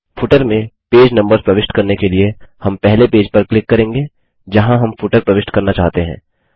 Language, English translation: Hindi, To insert page numbers in the footer, we first click on the page where we want to insert the footer